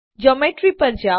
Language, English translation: Gujarati, Go to Geometry